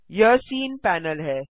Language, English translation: Hindi, This is the scene panel